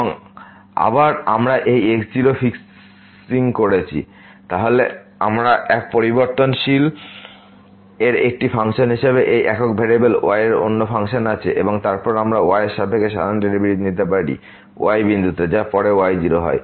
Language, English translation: Bengali, And again, we can also take like fixing this naught, then we have this function as a function of one variable and then we can take this usual derivative with respect to at is equal to later on